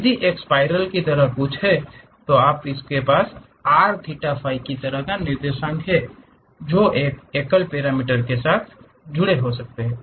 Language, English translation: Hindi, If it is something like a spiral you have r theta phi kind of coordinates which can be connected by one single parameter